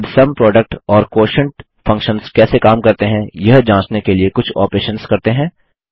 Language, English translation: Hindi, Now lets perform some operations to check how the Sum, Product and the Quotient functions work